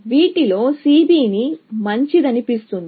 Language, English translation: Telugu, Out of these, C B seems to be better